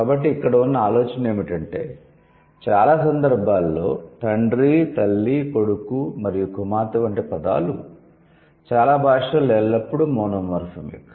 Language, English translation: Telugu, So, the idea here is that in most of the cases, the words like father, mother, son and daughter, these are always monomorphic in most of the words, okay, in most of the languages